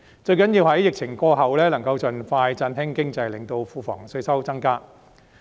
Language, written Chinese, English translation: Cantonese, 最重要的是在疫情過後，能夠盡快振興經濟，令庫房稅收增加。, The most important thing is that when the outbreak is over we will be able to revitalize the economy and increase our revenue expeditiously